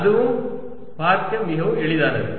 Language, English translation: Tamil, that is also very easy to see